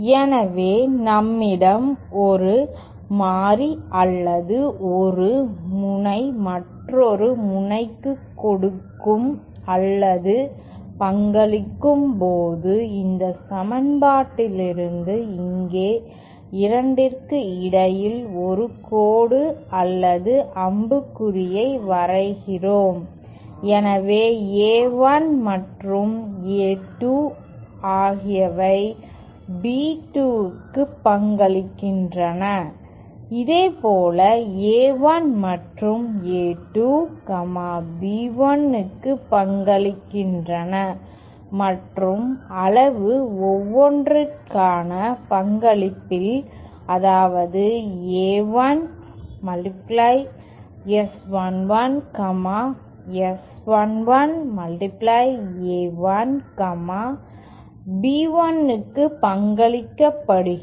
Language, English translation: Tamil, So, when we have one variable or one node giving or contributing to another node, we draw a line or an arrow between the 2 so here from this equation, A1 and A2 contribute to B2, similarly A1 and A2 contribute to B1 and the magnitude by which of the contribution for each, that is A1 Times S 11, S 11 times A1 is contributed to B1